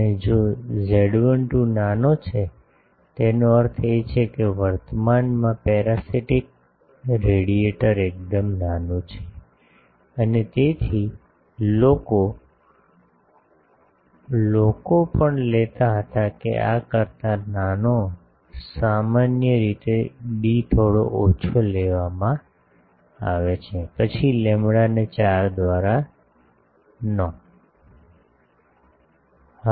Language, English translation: Gujarati, And if z 12 is small; that means, the current in, the parasitic radiator is quite small, and so people, also people took that the this smaller than, generally the d is taken a bit smaller then the not by 4